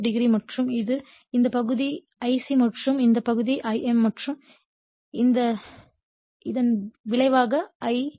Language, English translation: Tamil, 5 degree and this is your this part is I c and this part is your I m and this is the resultant current I0 right